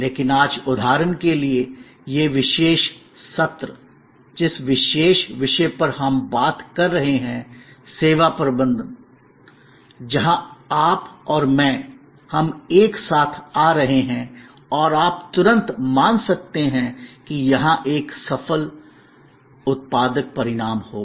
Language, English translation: Hindi, But, today take for example, this particular session, which we are having, this particular topic on service management, where you and I, we are coming together and you can immediately perceived that here a successful productive engagement will happen